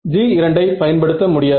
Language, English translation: Tamil, So, G 2 cannot be used ok